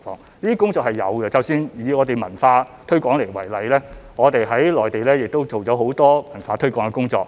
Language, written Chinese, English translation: Cantonese, 這些工作是有做的，以我們的文化推廣為例，我們在內地做了很多這方面的工作。, We have done work in this respect . Take the example of our culture promotion we have done a lot of such work in the Mainland